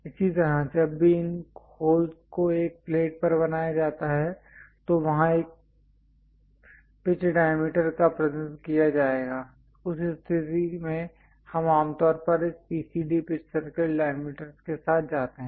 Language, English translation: Hindi, Similarly, whenever these multiple holes are made on a plate, there will be a pitch diameter represented in that case we usually go with this PCD pitch circle diameters